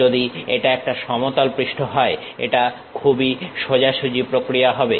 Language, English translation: Bengali, If it is plane surface it is pretty straight forward approach